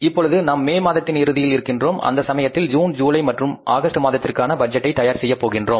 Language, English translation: Tamil, That is a month of, we are here at the end of May and now we have to prepare the budget for June, July and August